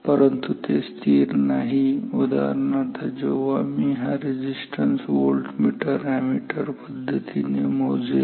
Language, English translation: Marathi, But it is not constant; so, for example, when I measured this resistance using this voltmeter ammeter method